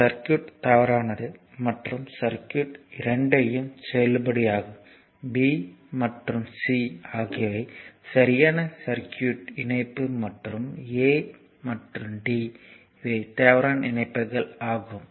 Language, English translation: Tamil, So, this circuit this one invalid and this one is invalid and this 2 are valid circuit, b and c are valid circuit connection and a and d these are invalid connections right